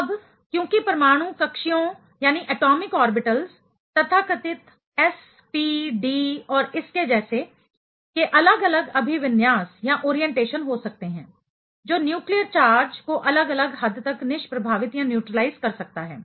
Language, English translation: Hindi, Now, since these atomic orbitals; so called s, p, d and so on can have different orientation; can neutralize the nucleus charge to different extent